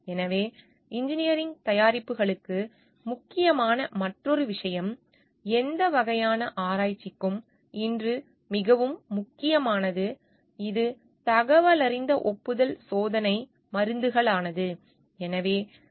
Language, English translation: Tamil, So, another thing which is important for engineering products which is very very important today for any kind of research also it is a all for informed consent testing drugs